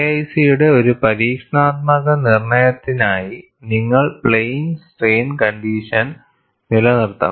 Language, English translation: Malayalam, For an experimental determination of K 1C, you have to maintain plane strain condition